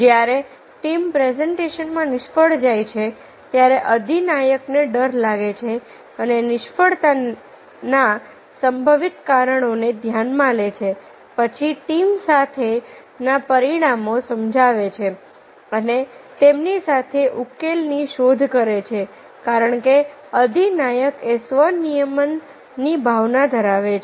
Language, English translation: Gujarati, when a team files a presentation, the leader fears and consider possible reasons for failure, then explain the consequences with the team and explore the solution with them